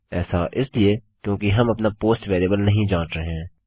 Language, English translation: Hindi, Thats because were not checking for our post variable